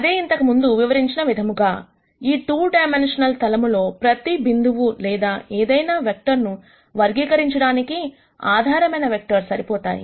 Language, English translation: Telugu, That is what we described before, that these basis vectors are enough to characterize every point or any vector on this 2 dimensional plane